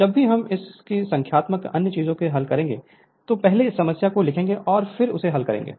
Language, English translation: Hindi, Whenever you will solve all these numerical another things we will first write down the problem and then you solve it right